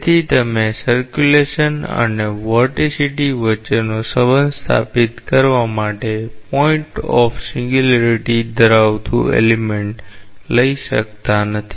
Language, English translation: Gujarati, So, you cannot take an element which contains the point of singularity to establish the relationship between the circulation and the vorticity